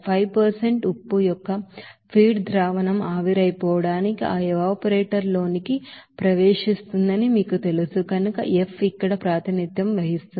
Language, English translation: Telugu, F is representing here as you know that feed solution of 5% salt which will be entering to that evaporator which is to be evaporated